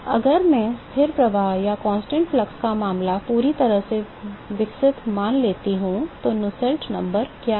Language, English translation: Hindi, The constant flux case if I assume that fully developed, what is the Nusselt number